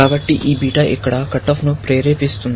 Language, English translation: Telugu, So, which means, this beta will induce a cutoff here